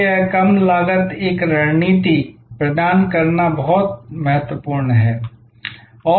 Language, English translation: Hindi, So, this low cost provide a strategy is very important